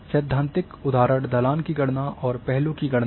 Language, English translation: Hindi, And typical examples are slope calculation and aspect calculation